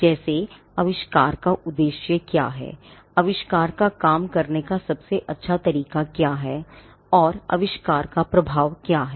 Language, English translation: Hindi, Like, what is the object of the invention, what is the best method of working the invention and what is the impact of the invention